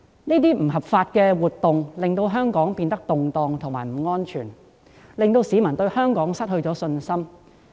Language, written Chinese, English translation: Cantonese, 這些不合法活動令香港變得動盪及不安全，亦令市民對香港失去信心。, These illegal activities have made Hong Kong unstable and unsafe and have in turn made people lose their confidence in Hong Kong